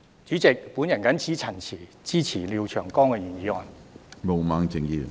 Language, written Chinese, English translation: Cantonese, 主席，我謹此陳辭，支持廖長江議員的議案。, With these remarks President I support the motion of Mr Martin LIAO